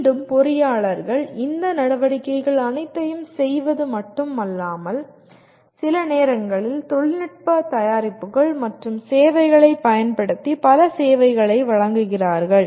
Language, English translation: Tamil, And again engineers not only perform all these activities, sometimes engineers provide services using technological products and services